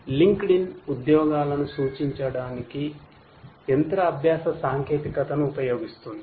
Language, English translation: Telugu, LinkedIn uses machine learning technology for suggesting jobs